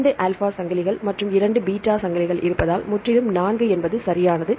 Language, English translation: Tamil, Totally 4 right because it has 2 alpha chains and 2 beta chains right